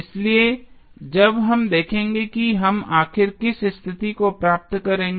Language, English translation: Hindi, So, that we will see when we will finally derive the condition